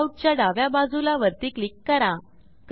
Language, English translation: Marathi, Click on the Top left side of layout